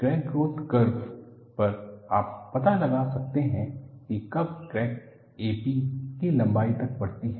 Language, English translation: Hindi, On the crack growth curve you can find out, when does the crack grows to the length a p